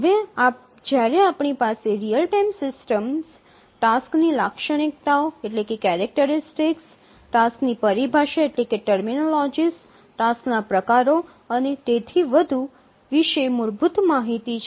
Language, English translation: Gujarati, Now that we have some basic knowledge on the real time systems, the task characteristics, terminologies of tasks, types of tasks and so on